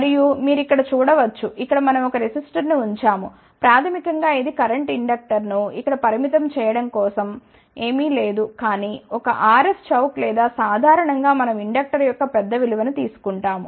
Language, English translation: Telugu, And, you can see here now we have put a resistor here, basically this is for limiting the current inductor here is nothing, but a RS chock or in general we take a large value of inductor